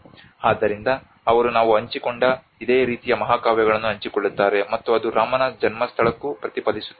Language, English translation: Kannada, So they share a similar epics of what we shared and it also reflects to the birthplace of Rama